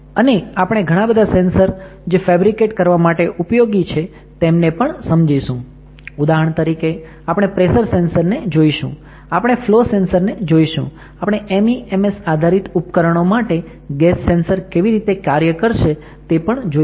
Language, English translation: Gujarati, And, a lot of sensors we will be also looking at how to fabricate it for example, we will look at the pressure sensor, we will look at the flow sensor, we will see how it can be used for a gas sensor this MEMS based device, we will